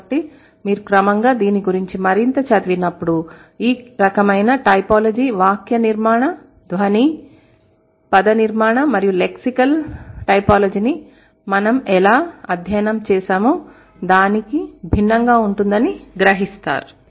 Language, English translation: Telugu, So maybe gradually when you read more about it you will realize that this kind of typology is different from how we have studied syntactic, phonological, morphological, and lexical typology